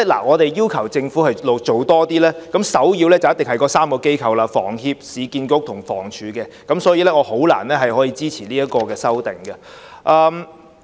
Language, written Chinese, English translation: Cantonese, 我們要求政府做多些，首要一定涉及房協、市建局及房屋署這3間機構，所以我難以支持這項修正案。, If the Government is to step up its efforts as we have requested the prerequisite is that three organizations must be involved namely HS URA and also the Housing Department . So I cannot support this amendment